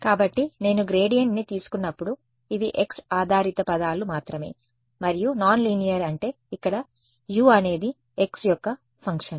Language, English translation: Telugu, So, when I take the gradient only the x dependent terms are this guy and non linear means over here U is a function of x